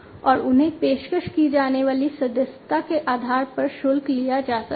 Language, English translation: Hindi, And they can be charged based on the subscription that is offered